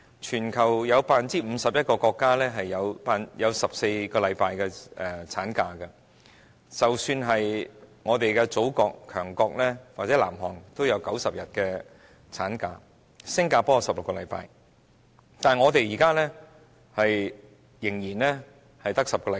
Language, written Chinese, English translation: Cantonese, 全球有 51% 國家的產假是14星期，即使是我們的祖國、強國或南韓的產假也有90天，新加坡則有16星期，但我們現時仍然只有10星期。, Globally 51 % of countries provide for 14 weeks of maternity leave . Even our Motherland or powerful nation and South Korea for that matter provide for 90 days of maternity leave whereas Singapore provides for 16 weeks